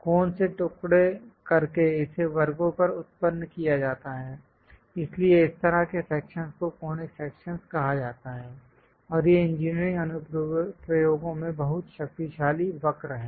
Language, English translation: Hindi, On the sections are generated from cone by slicing it; so such kind of sections are called conic sections, and these are very powerful curves in engineering applications